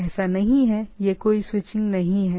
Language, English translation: Hindi, There is so, one is that no switching